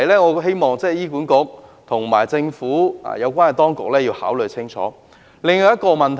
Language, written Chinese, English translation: Cantonese, 我希望醫管局和政府有關當局考慮清楚這個問題。, I hope that HA and the Administration will carefully consider this question